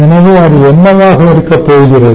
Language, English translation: Tamil, so what is that going to be